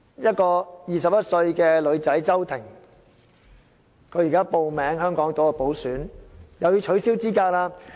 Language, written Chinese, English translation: Cantonese, 一個21歲的女孩子叫周庭，她現在報名參加香港島補選，又要被取消資格。, Another 21 - year - old girl Agnes CHOW Ting who has applied for running in the by - election of Hong Kong Island Constituency will also be disqualified